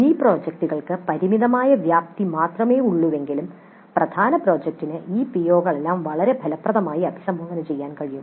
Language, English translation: Malayalam, Many projects have evidently limited scope but the major project can indeed address all these POs quite effectively